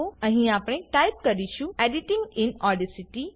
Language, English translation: Gujarati, Here we will type Editing in Audacity.